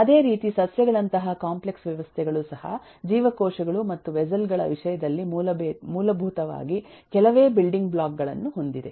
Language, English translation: Kannada, similarly, such complex systems as plants has very few building blocks, fundamentally in terms of vessels and so on